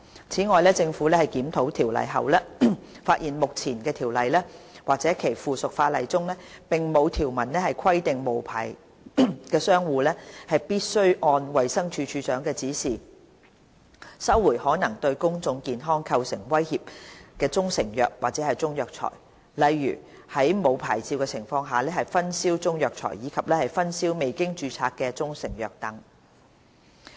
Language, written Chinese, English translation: Cantonese, 此外，政府檢討《條例》後，發現目前《條例》或其附屬法例中，並無條文規定無牌商戶必須按衞生署署長的指示，收回可能對公眾健康構成威脅的中成藥或中藥材，例如在沒有牌照的情況下分銷中藥材，以及分銷未經註冊的中成藥等。, Moreover the Government has reviewed CMO and found that there is currently no provision under CMO or its subsidiary legislation providing that an unlicensed trader must as directed by the Director carry out recall actions regarding proprietary Chinese medicines or Chinese herbal medicines which may pose threats to public health such as Chinese herbal medicines being distributed without licence as well as unregistered proprietary Chinese medicines being distributed